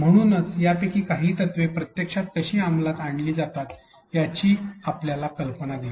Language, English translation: Marathi, So, that hopefully gave you an idea of how some of these principles are actually implemented on the field